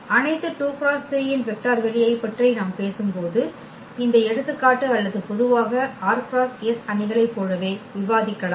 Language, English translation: Tamil, This example where we are talking about the vector space of all 2 by 3 or in general also we can discuss like for r by s matrices